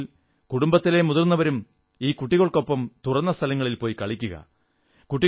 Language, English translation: Malayalam, If possible, we can make the elder family members accompany these children to the playground and play with them